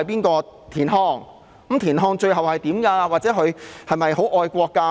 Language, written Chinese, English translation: Cantonese, 那麼田漢最後有何遭遇或他是否很愛國？, Then what has happened to TIAN Han? . Was he very patriotic?